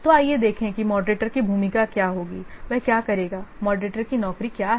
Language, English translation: Hindi, So let's see what will the role of the moderator, what you will do